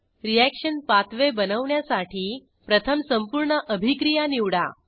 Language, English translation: Marathi, To create a reaction pathway, first select the complete reaction